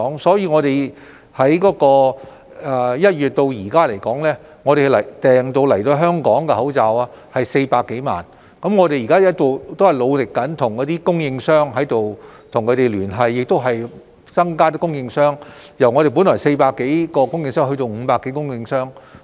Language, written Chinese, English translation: Cantonese, 所以，政府由1月至今訂購到港的口罩有400多萬個，我們現在仍然努力跟供應商聯繫，又增加供應商的數額，由原來400多個供應商增加至500多個。, Since January more than 4 million face masks ordered by the Government have arrived in Hong Kong . We are still working hard to liaise with suppliers and at the same time we have enlarged the pool of suppliers from the original 400 - odd to 500 - odd